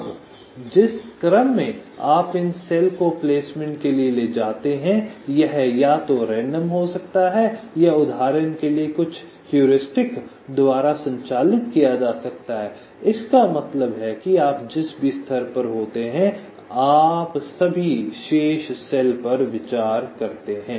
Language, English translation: Hindi, now, the order in which you take these cells for placement: it can be either random or driven by some heuristics, like, for example, ah mean at every stage you have been, you consider all the remaining cells